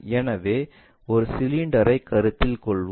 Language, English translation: Tamil, So, let us consider this cylinder